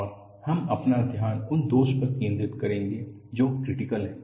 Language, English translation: Hindi, And we would focus our attention on the flaw which is critical